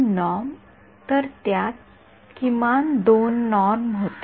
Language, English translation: Marathi, 2 norm; so it had minimum 2 norm